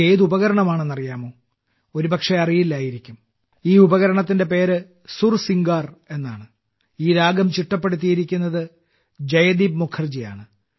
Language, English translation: Malayalam, The name of this musical instrumental mantra is 'Sursingar' and this tune has been composed by Joydeep Mukherjee